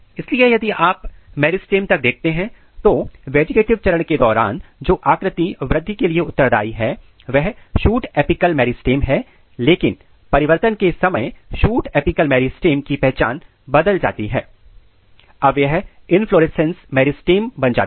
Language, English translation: Hindi, So, during vegetative phase the structure which is responsible for the growth is shoot apical meristem, but at the time of transition the identity of the shoot apical meristem is changed, now it becomes inflorescence meristem